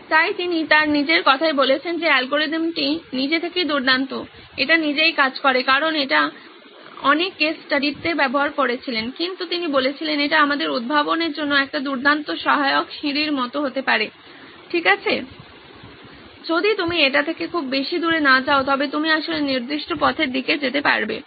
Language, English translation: Bengali, So he in his own words he says that this algorithm is great on its own, it works on its own because he tried it on so many case studies but he said this can be a great aid to invent us, it can be like a ladder guiding them okay if you should not go too far away from this but you can actually go towards certain path